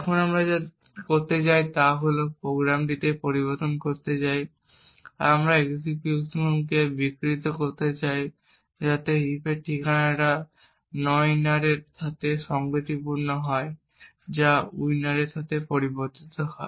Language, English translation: Bengali, this program we want to subvert the execution so that this address in the heap which corresponds to nowinner is modified to that of winner